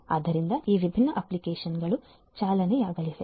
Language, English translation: Kannada, So, this different applications are going to run